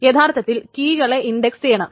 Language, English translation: Malayalam, So keys are indexed